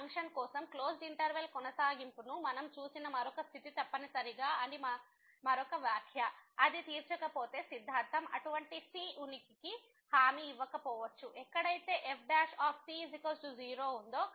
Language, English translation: Telugu, Another remark that the continuity condition which we have seen the continuity in the closed interval for this function is essential, if it is not met then we may not that the theorem may not guarantee the existence of such a where prime will be 0